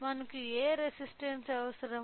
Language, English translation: Telugu, So, what resistance we require